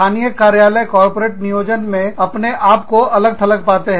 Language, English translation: Hindi, Local offices, often feel, left out of corporate planning